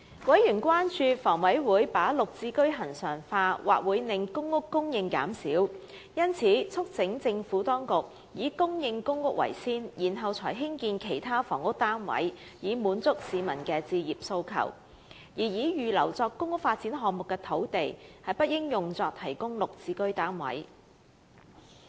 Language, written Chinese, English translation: Cantonese, 委員關注到，房委會把綠置居恆常化，或會令公屋供應減少，因此促請政府當局優先供應公屋，然後才提供其他房屋單位以滿足市民的置業訴求；而預留作公屋發展項目的土地，不應作為提供綠置居單位之用。, Members expressed concern that the HAs move of regularizing Green Form Subsidised Home Ownership Scheme GSH would reduce the PRH supply and thus urged the Administration to accord priority to the PRH supply over the provision of other housing units for meeting home ownership aspirations . They considered that the land earmarked for PRH developments should not be used for providing GSH